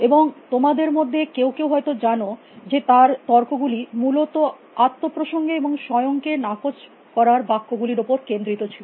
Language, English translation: Bengali, And as some of might know, his arguments are basically scented around, self reference and self negating sentences